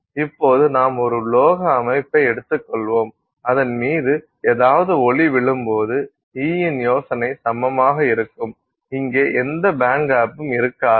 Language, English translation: Tamil, So, now when you take a metallic system and any light falls on it, this idea of E equals, you know, so there is no band gap here, right